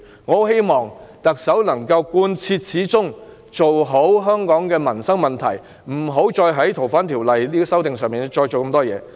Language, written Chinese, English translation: Cantonese, 我很希望特首能夠貫徹始終，妥善處理香港的民生問題，不要再就《逃犯條例》的修訂大費周章。, I very much hope that the Chief Executive can act in a consistent manner dealing with the livelihood issues in Hong Kong properly and refraining from expending any more effort on the amendment to FOO